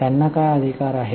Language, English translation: Marathi, What rights they have